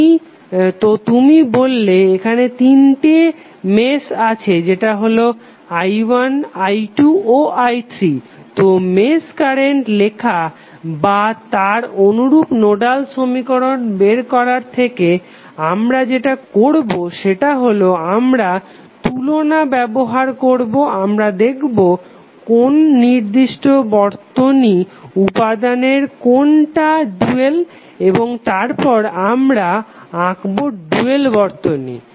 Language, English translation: Bengali, So you say that there are 3 meshes that is i1 may be i2 and i3, so rather then writing the mesh equation and correspondingly finding out the nodal equation what we will simply do we will simply use the analogy, we will say what is the dual of which particular circuit element and then we will draw the dual circuit